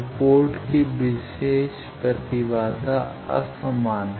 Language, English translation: Hindi, So, port characteristics impedance is unequal